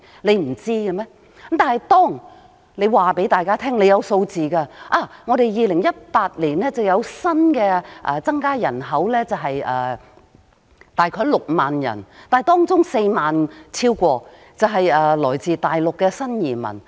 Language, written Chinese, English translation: Cantonese, 可是，政府卻告訴大家它有相關數字，例如2018年香港有新增人口約6萬人，當中有超過4萬人是來自大陸的新移民。, Are they unaware of such a situation? . However the Government tells us that it got related figures for example Hong Kongs population increased by about 60 000 in 2018 among them over 40 000 people were new arrivals from the Mainland